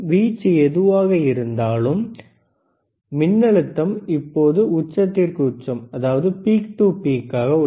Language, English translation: Tamil, Aamplitude you can be whatever, voltage is peak to peak right now